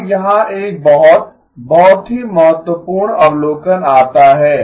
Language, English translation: Hindi, Now here comes a very, very important observation